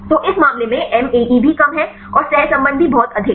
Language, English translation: Hindi, So, in this case the MAE also less and the correlation also very high